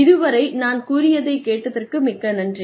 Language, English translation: Tamil, Thank you very much for listening to me